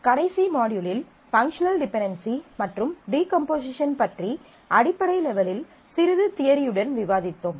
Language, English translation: Tamil, In the last module, we discussed about the Notion of functional dependency and decomposition based on that in an elementary level and certain bit of its theory